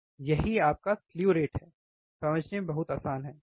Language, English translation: Hindi, That is your slew rate, very easy to understand, isn't it